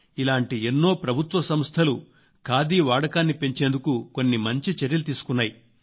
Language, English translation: Telugu, The Government organizations are witnessing a positive trend for khadi